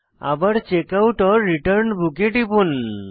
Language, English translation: Bengali, Again click on Checkout/Return Book